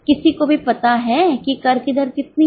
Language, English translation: Hindi, Anybody is aware how much is a tax rate